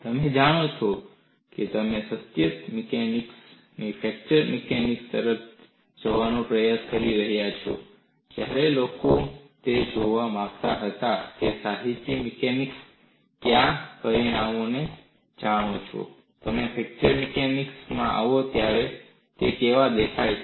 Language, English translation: Gujarati, When you are trying to move away from continuum mechanics to fracture mechanics, people wanted to look at what parameters that continuum mechanics, how they look like when you come to fracture mechanics